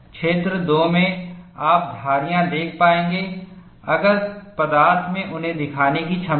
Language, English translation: Hindi, In region 2, you will able to see striations, if the material has the ability to show them